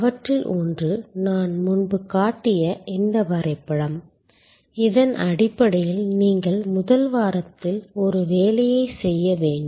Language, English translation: Tamil, One of them is this diagram that I had shown before, which is on the basis of which you are supposed to do an assignment in week one